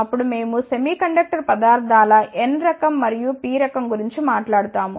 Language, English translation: Telugu, Then, we will talk about n type and p type of semiconductor materials